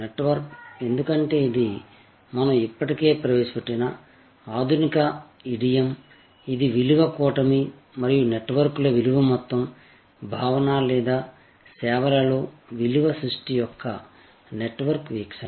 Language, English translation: Telugu, Network, because this is a modern idiom that we have already introduced, this the whole concept of value constellation and value networks or the network view of value creation in services